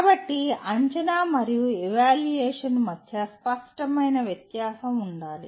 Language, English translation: Telugu, So there should be a clear difference between assessment and evaluation